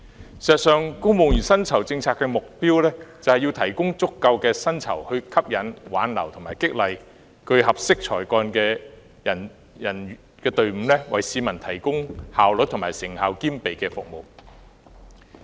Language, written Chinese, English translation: Cantonese, 事實上，公務員薪酬政策的目標在於提供足夠的薪酬，以吸引、挽留及激勵具合適才幹的公務員，為市民提供效率與成效兼備的服務。, In fact the objective of the Civil Service Pay Policy is to offer remuneration sufficient to attract retain and motivate staff of a suitable calibre to provide members of the public with an effective and efficient service